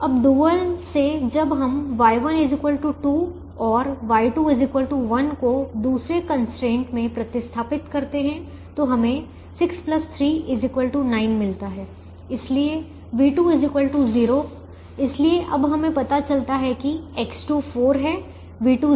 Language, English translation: Hindi, now from the dual when we substitute y one equal to two and y two equal to one, in the second constraint, we get six plus three equal to nine